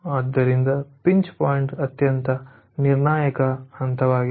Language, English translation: Kannada, so pinch point is the most crucial point